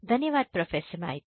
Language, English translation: Hindi, Thank you Professor Maiti